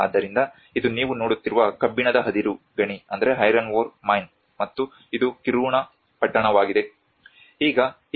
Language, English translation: Kannada, So this is iron ore mine what you are seeing and this is the Kiruna town